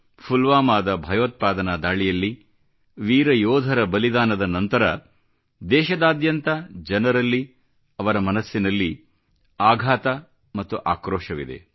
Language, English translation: Kannada, As a consequence of the Pulwama terror attack and the sacrifice of the brave jawans, people across the country are agonized and enraged